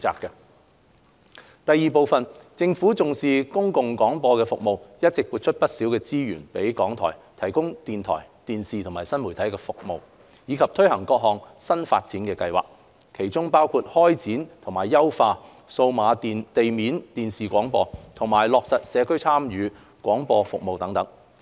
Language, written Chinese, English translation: Cantonese, 二政府重視公共廣播的服務，一直撥出不少資源予港台以提供電台、電視及新媒體服務，以及推行各項新發展計劃，其中包括開展及優化數碼地面電視廣播、落實社區參與廣播服務等。, 2 The Government attaches great importance to public service broadcasting and has allocated quite a lot of resources to RTHK to provide radio television and new media services and to implement new development projects including the launch and enhancement of digital terrestrial television broadcasting and the implementation of the Community Involvement Broadcasting Service